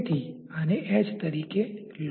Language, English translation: Gujarati, So, maybe take this as h